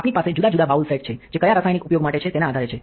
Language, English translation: Gujarati, We have different bowl sets that are depending on which chemical to using